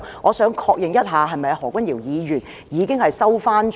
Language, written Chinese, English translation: Cantonese, 我想確認一下，何君堯議員是否已經收回他的說話？, I would like to seek confirmation has Dr Junius HO withdrawn his remarks?